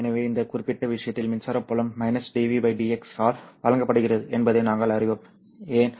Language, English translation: Tamil, So we also know that electric field is given by minus dv by dx in this particular case